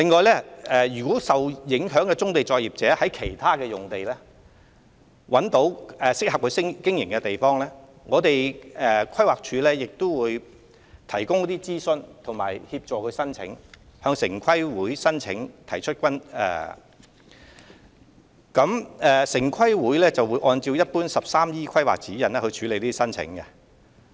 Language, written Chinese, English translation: Cantonese, 此外，如受影響棕地作業者在其他用地找到適合經營的場所，規劃署會提供諮詢服務及協助他們向城規會提出申請，城規會會按 "13E 規劃指引"處理這些申請。, In addition if the affected brownfield operators have identified other sites that are suitable for relocation PlanD will provide advisory service and help them submit a planning application to TPB which will process the application in accordance with the Planning Guidelines No . 13E